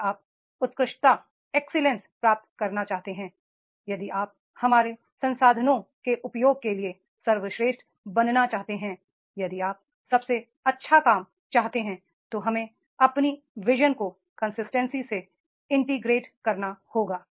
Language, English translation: Hindi, If you want to achieve the excellence, if we want to make the best of our use of resources, if we want to do the best, we have to integrate our vision with consistency